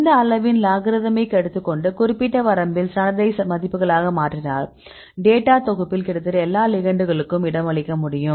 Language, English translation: Tamil, So, take this logarithmic of the scale right in that case we can be a standardized values in specific range, and we can accommodate almost all the a ligands right in your dataset